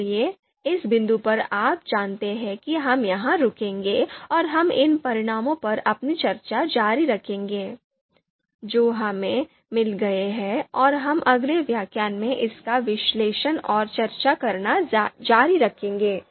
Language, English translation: Hindi, So what we will do is, at this point, so at this point you know we will stop here and we will continue our discussion on these results that we have got and we will continue to analyze and discuss it in the next lecture